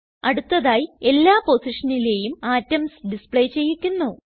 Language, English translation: Malayalam, Next I will display atoms on all positions